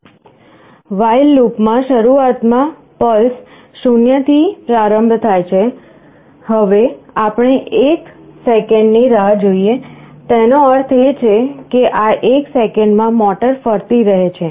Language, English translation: Gujarati, In the while loop, initially pulses is initialized to 0, now we wait for 1 second; that means, in this 1 second the motor is rotating